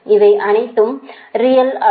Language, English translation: Tamil, there are there all real quantities